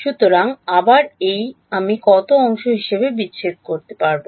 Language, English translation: Bengali, So, again this I can break up as how many parts